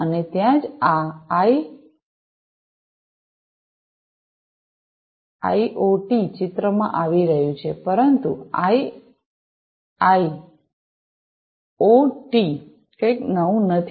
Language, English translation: Gujarati, And, that is where this IIoT is coming into picture, but a IIoT is not something new, right